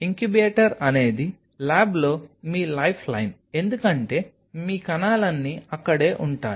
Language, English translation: Telugu, Incubator is your life line in a lab because that is where all your cells are